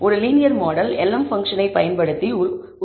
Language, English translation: Tamil, So, building a linear model is done using the function lm